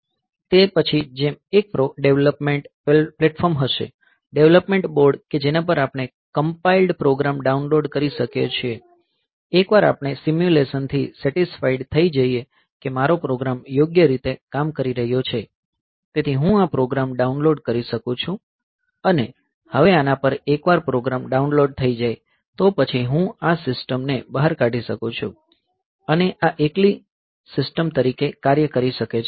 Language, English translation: Gujarati, After that, so normally the situation is like this, that there is a development platform, development board onto which we can download this compiled program, once we are satisfied with the simulation that my program is working correctly, so I can download this program and now on this, once the program has been downloaded, then I can take this system out and this can act as the stand alone system where